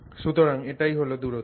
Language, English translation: Bengali, So, that distance is 3